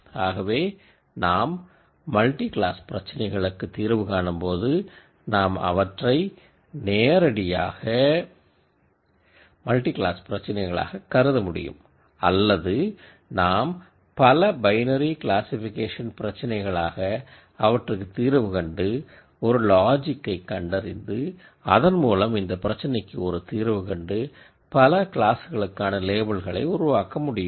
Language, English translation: Tamil, So, when we solve multi class problems, we can treat them directly as multi class problems or you could solve many binary classification problems and come up with a logic on the other side of these classification results to label the resultant to one of the multiple classes that you have